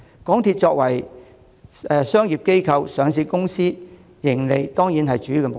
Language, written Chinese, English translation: Cantonese, 港鐵作為商業機構、上市公司，當然以追求盈利為主要目標。, As a commercial organization and listed company MTRCL should certainly set its sights primarily on pursuing profits